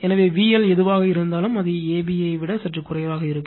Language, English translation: Tamil, So this one whatever V L will be, it will be slightly less than a b right